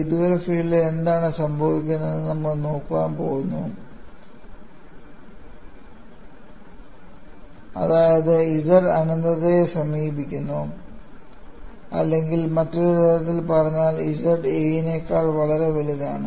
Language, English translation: Malayalam, We are going to look at what happens at the far field; that means, small zz approaches infinity or in other words z is much larger than a